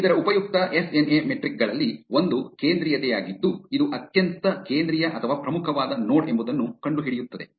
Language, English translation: Kannada, One of the other useful SNA metrics is centrality that is finding out which is the most central or important node